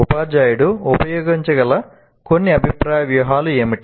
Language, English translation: Telugu, What are some of the feedback strategies a teacher can make use of